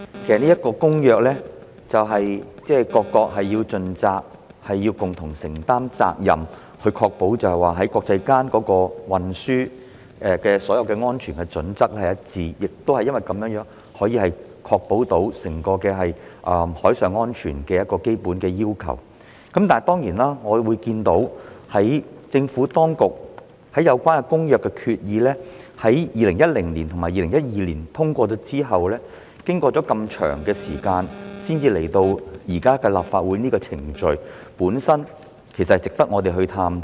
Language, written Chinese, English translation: Cantonese, 其實各國須就《公約》盡責，共同承擔責任，以確保國際間運輸的所有安全準則一致，亦因如此，可確保達致整個海上安全的基本要求，但當然，我們看到政府當局在有關《公約》的決議於2010年及2012年通過後，經過這麼長時間才來到今天的立法程序，箇中因由亦值得我們探討。, All countries should in truth fulfil their joint responsibilities under the Convention to ensure consistency of all safety standards for international transport thereby also ensuring that the basic requirements for maritime safety are met as a whole . However as we see that it has taken so long for the Administration to get to todays legislative process since the adoption of the resolutions on the Convention in 2010 and 2012 it is certainly worth exploring the underlying causes